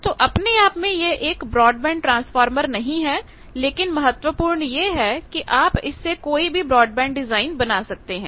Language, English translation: Hindi, So, in itself it is not a broadband transformer, but with it you can achieve any broadband design that is important